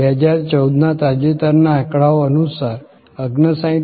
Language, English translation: Gujarati, According to the latest statistics in 2014, 59